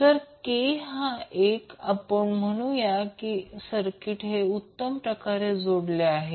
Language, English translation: Marathi, So if k is 1, we will say that the circuit is perfectly coupled